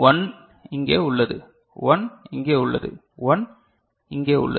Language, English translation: Tamil, So, 1 is over here, 1 is over here and 1 is over here right